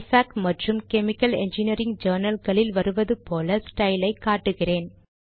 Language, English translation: Tamil, I will now show a style that is used by ifac and chemical engineering journals